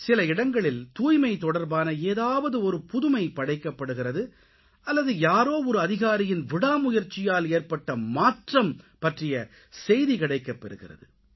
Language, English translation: Tamil, Sometimes there is a story of an innovation to bring about cleanliness or winds of change that get ushered due to an official's zeal